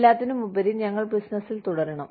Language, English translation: Malayalam, After all, we have to stay in business